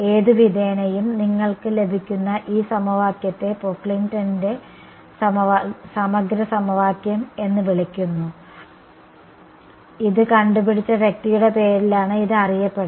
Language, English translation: Malayalam, Any way this equation that you get is what is called the Pocklington’s integral equation alright, so it is named after the person who came up with this